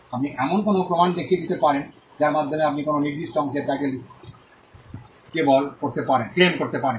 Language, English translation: Bengali, You could show evidences by which you can claim title to a particular piece of property